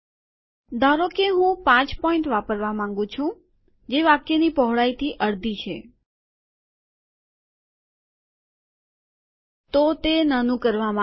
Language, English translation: Gujarati, Suppose I want to use point 5, that is half a line width, then it has been made small